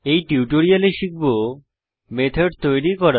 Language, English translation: Bengali, In this tutorial we will learn To create a method